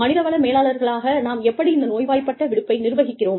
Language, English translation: Tamil, How do we, as human resources managers, manage sick leave